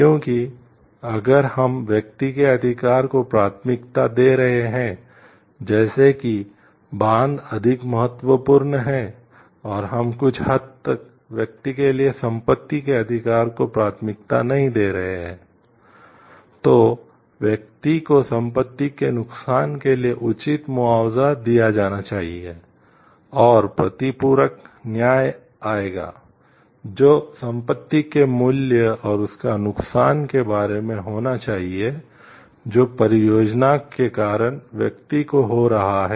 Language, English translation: Hindi, Because if we are prioritizing right of the we person in terms of like the dam is more important, and we are like somewhat not prioritizing the right of the property for the person, then the person needs to be properly compensated for the loss of the property, and there will come the compensatory justice; which is at the should be equivalent to the value of the property and the loss that the person is incurring due to the project